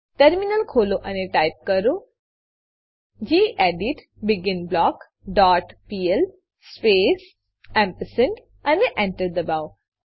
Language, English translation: Gujarati, Open the Terminal and type gedit beginBlock dot pl space ampersand and press Enter